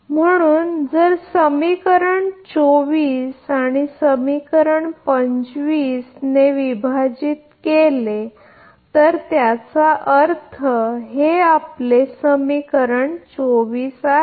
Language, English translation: Marathi, Therefore, if divide equation 24 by equation 25, that means, your this is 24